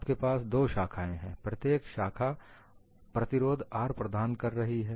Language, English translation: Hindi, You have two branches; each branch is providing a resistance R